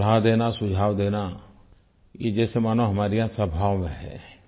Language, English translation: Hindi, To offer advice or suggest a solution, are part of our nature